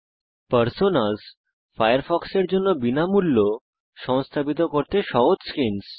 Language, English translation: Bengali, # Personas are free, easy to install skins for Firefox